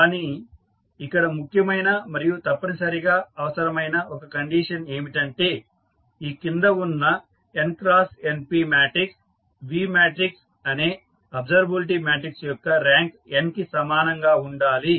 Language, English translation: Telugu, It is necessary and sufficient that the following matrix V that is n cross np matrix observability matrix as the rank equal to n